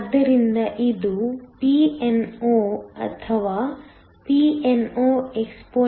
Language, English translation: Kannada, So, it is Pno or PnoexpxLh